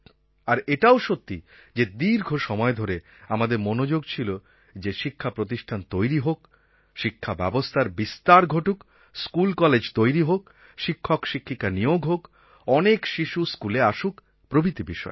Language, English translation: Bengali, It is true that for a long time our focus has been on setting up educational institutions, expanding the system of education, building schools, building colleges, recruiting teachers, ensuring maximum attendance of children